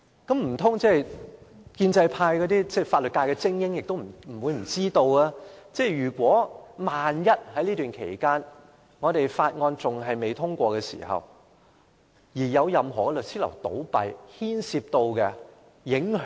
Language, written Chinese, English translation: Cantonese, 建制派的法律界精英不可能不知道，萬一在法案有待通過的期間有任何律師樓倒閉，將有重大影響。, The legal elites of the pro - establishment camp will certainly be aware of the significant impacts should a law firm close down before the passage of the Bill